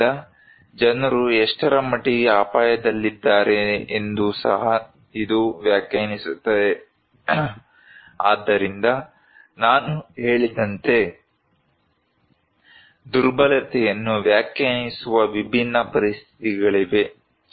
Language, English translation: Kannada, So, these also define that what extent people are at risk, so as I said that, there are different conditions that define the vulnerability